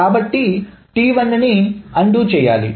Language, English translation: Telugu, So T0 needs to be redone